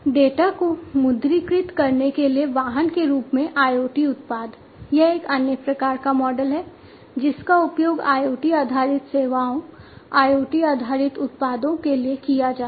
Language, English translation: Hindi, IoT products as a vehicle to monetize data; this is another type of model that is used for IoT based services IoT based products